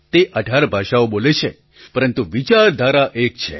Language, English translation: Gujarati, She speaks 18 languages, but thinks as one